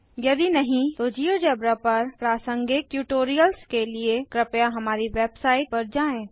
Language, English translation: Hindi, If not,For relevant tutorials Please visit our website http://spoken tutorial.org